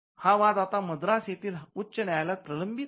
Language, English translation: Marathi, dispute which is now pending before the high court at Madras